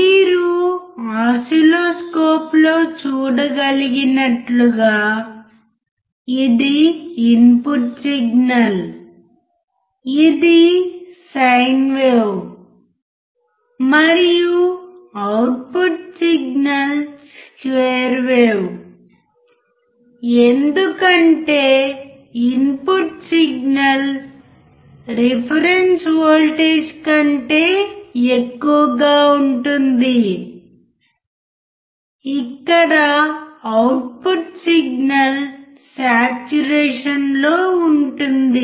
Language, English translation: Telugu, As you can see in the oscilloscope that is input signal which is sin wave and the output signal is square wave right because the input signal is greater than reference voltage that is where the output signal is saturated